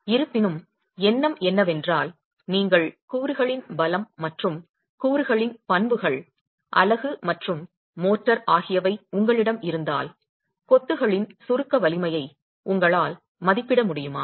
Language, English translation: Tamil, However, the intention is if you were, if you had with you the strength of the constituents and the properties of the constituents, the unit and the unit and the motor, will you be able to estimate the compressive strength of masonry